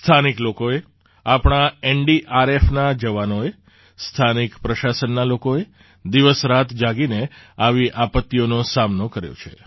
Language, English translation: Gujarati, The local people, our NDRF jawans, those from the local administration have worked day and night to combat such calamities